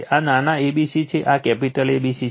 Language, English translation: Gujarati, This is small a, b, c, this is capital A, B, C